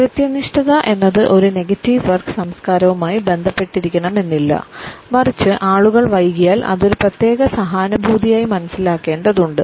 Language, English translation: Malayalam, Non punctuality is not necessarily related with a negative work culture rather it has to be understood as a certain empathy if people tend to get late